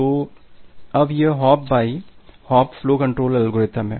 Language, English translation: Hindi, Now so, this hop by hop flow control algorithms are there